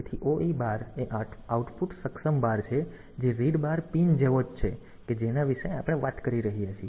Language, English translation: Gujarati, So, OE bar is the output enable bar which is same as the read bar pin that we are talking about